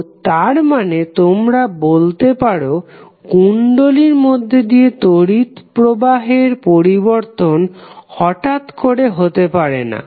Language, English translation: Bengali, So it means that you can say that current through an inductor cannot change abruptly